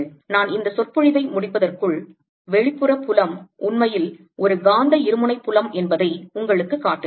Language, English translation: Tamil, let me, before i finish this lecture, show you that outside field is really a magnetic dipole field